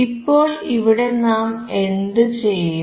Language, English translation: Malayalam, Now here what we will do